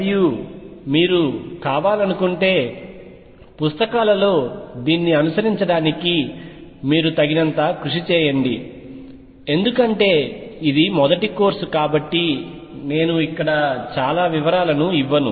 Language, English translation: Telugu, And enable you enough to follow this in books if you wish too, because this is the first course so I do not really give a many details here